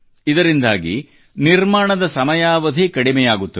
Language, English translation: Kannada, This reduces the duration of construction